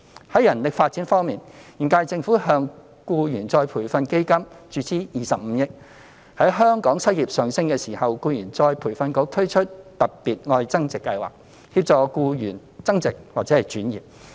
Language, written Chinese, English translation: Cantonese, 在人力發展方面，現屆政府向僱員再培訓基金注資25億元；在香港失業率上升時，僱員再培訓局推出"特別.愛增值"計劃，協助僱員增值或轉業。, As for human resources development the current - term Government has injected 2.5 billion into the Employees Retraining Fund; and with the local unemployment rate rising the Employees Retraining Board has launched the Love Upgrading Special Scheme to assist employees in pursuing self - enhancement or changing jobs